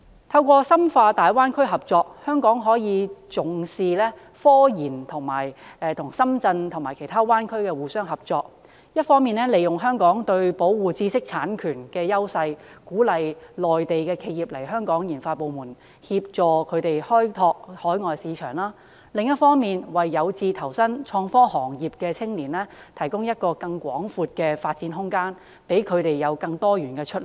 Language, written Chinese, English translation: Cantonese, 通過深化大灣區合作，香港可以與重視科研的深圳及大灣區內其他城市合作，一方面利用香港對保護知識產權的優勢，鼓勵內地企業來香港設立研發部門，協助它們開拓海外市場；另一方面為有志投身創科行業的青年提供一個更廣闊的發展空間，讓他們有更多元的出路。, Through in - depth collaboration with the Greater Bay Area Hong Kong can cooperate with Shenzhen which attaches importance to scientific research and other cities within the Greater Bay Area . On the one hand leveraging on our advantage in the protection of intellectual property rights Hong Kong can encourage Mainland enterprises to set up their RD departments in Hong Kong and assist them in the exploration of overseas markets . On the other hand Hong Kong can provide a larger room of development for the young people who aspire to join the IT industries so that they can have more diversified pathways in future